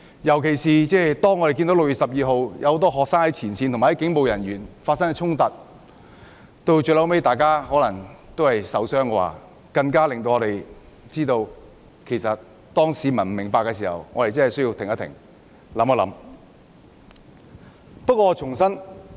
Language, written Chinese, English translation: Cantonese, 尤其是6月12日，很多學生在前線與警務人員發生衝突，最後可能有人受傷，我們更認為在市民不明白的時候，我們真的需要停一停，想一想。, In particular on 12 June many students had conflicts with police officers at the front line and some might eventually be injured . Given that some members of the public have some misunderstandings we really must stop and think